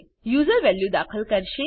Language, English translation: Gujarati, User will enter the value